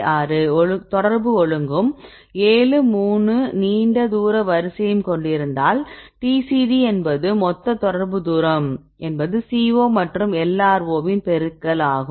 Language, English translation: Tamil, 6, long range order is 7 3, this TCD a total contact distance this is the multiplication of the CO and LRO right